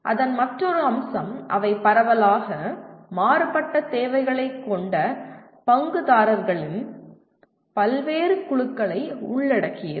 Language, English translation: Tamil, And another feature of that, they involve diverse groups of stakeholders with widely varying needs